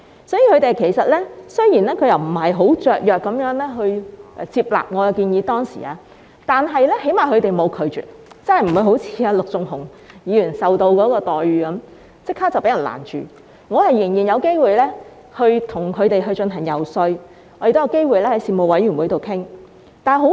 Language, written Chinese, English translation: Cantonese, 雖然他們當時並非很雀躍地接納我的建議，但起碼他們沒有拒絕，即不會好像陸頌雄議員般，建議立即遭攔截，我仍然有機會遊說他們，也有機會在事務委員會會議上討論。, Although they were not particularly enthusiastic about accepting my proposal they did not reject it . I mean they did not immediately stop my proposal like what they did to Mr LUK Chung - hung . I still had a chance to lobby them and raise this subject in the Panel meetings for discussion